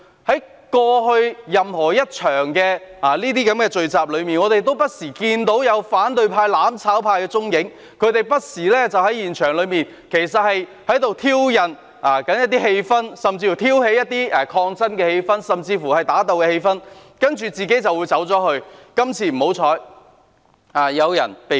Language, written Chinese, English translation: Cantonese, 在過去這類聚集中，我們不時看到反對派、"攬炒派"的蹤影，他們不時在現場挑釁，挑起一些抗爭甚至打鬥的氣氛，然後便離開，只是今次不幸有人被捕。, We have seen from time to time traces of the opposition and mutual destruction camp in this kind of assemblies in the past . Time and again they behaved provocatively at the scene stirred up a confrontational or even belligerent atmosphere and then left . It is only that someone was unfortunately arrested this time